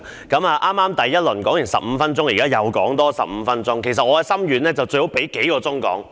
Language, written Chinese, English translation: Cantonese, 剛才第一輪我已發言15分鐘，現在再發言15分鐘，而其實我的心願是最好有數小時讓我發言。, I spoke for 15 minutes in the first round earlier . Now I am going to speak for another 15 minutes and it is actually my wish to be given several hours to speak